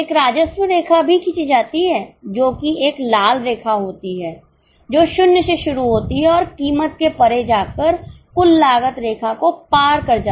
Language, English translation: Hindi, A revenue line is also drawn that is a red line which starts with zero and goes up beyond a point crosses the total cost line